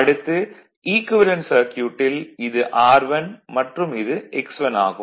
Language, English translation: Tamil, Therefore, your equivalent circuit say this is R 1 and X 1